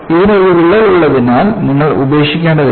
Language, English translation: Malayalam, Just because it has a crack, you need not have to discard